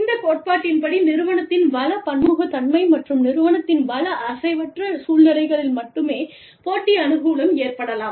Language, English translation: Tamil, According to this theory, competitive advantage can only occur, in situations of firm resource heterogeneity, and firm resource immobility